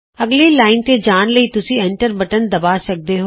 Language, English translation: Punjabi, You can press the Enter key to go to the next line